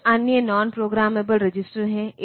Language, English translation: Hindi, There are some other non programmable registers